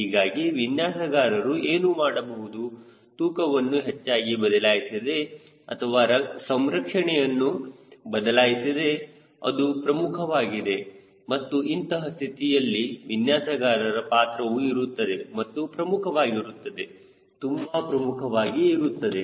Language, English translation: Kannada, so what the designers will do without much affecting the weight or much change in the configuration, right, that is important and that is where designer role play and the important role, very, very important role